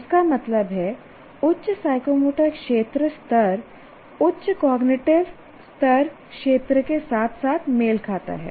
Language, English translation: Hindi, That means higher psychomotor domain level corresponds to higher cognitive level domain as well